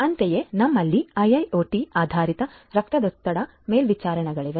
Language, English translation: Kannada, Similarly, one could have one has we have IIoT based blood pressure monitors